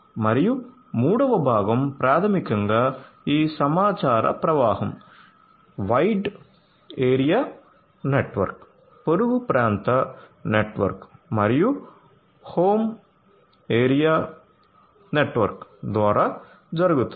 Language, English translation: Telugu, And the third component is basically this information flow, through the wide area network, neighborhood area network and the home area network